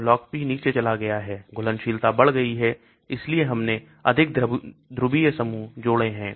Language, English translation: Hindi, So Log P has gone down, solubility has increased, so we have added more polar groups